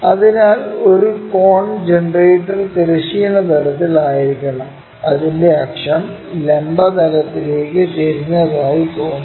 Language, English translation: Malayalam, So, a cone generator has to be on the horizontal plane and its axis appears to be inclined to vertical plane